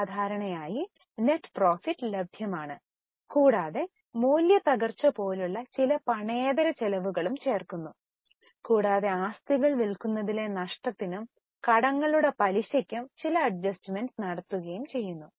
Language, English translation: Malayalam, So, normally net profit is available plus some non cash operating, non cash expenses like depreciation are added and some adjustments may be made for loss on sale of assets and interest on debts